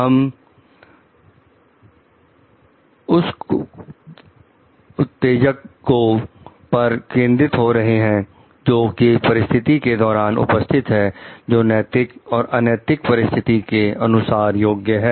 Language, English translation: Hindi, Here we are focusing on the triggers present in the situation, which will qualify it to be unethical or an ethical situation